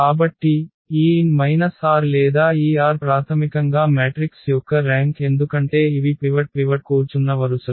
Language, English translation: Telugu, So, this n minus r or this r is the rank basically of the matrix because these are the rows where the pivot is sitting